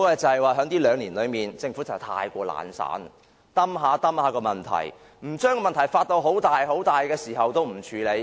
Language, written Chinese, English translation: Cantonese, 就是在這兩年間，政府過於懶散，只是一拖再拖，問題一天未發大，他們也不會處理。, The excessive tardiness on the part of the Government in these two years has further delayed the whole process and the problem has not been properly dealt with until it has become too serious